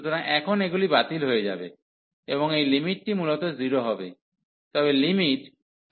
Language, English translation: Bengali, So, now in these will cancel out, and this limit will be 0 basically